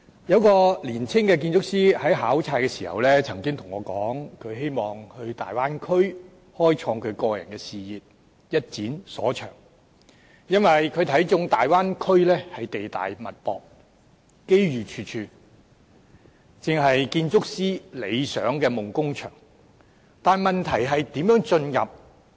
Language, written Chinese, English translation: Cantonese, 有一個年輕的建築師在考察時曾經向我說，他希望到大灣區開創個人事業，一展所長，因為他看中大灣區地大物博、機遇處處，正是建築師理想的夢工場，但問題是如何進入？, During one study visit a young architect told me that he wanted to pursue his personal career and bring his knowledge into full play in the Bay Area as he sees that the Bay Area with vast expanses abundant resources and plentiful opportunities is exactly the dream working area for architects . But the questions are How to gain access?